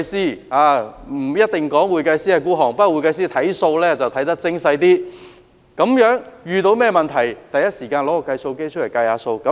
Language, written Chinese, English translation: Cantonese, 會計師不一定吝嗇金錢，但會計師計算帳目會較精細，遇上問題第一時間取出計算機來計數。, Accountants may not necessarily be parsimonious but they have a detailed mind with the accounts . When a problem arises they will immediately take out a calculator to make a calculation